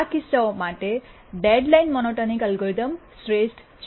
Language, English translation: Gujarati, For these cases, the deadline monotonic algorithm is the optimal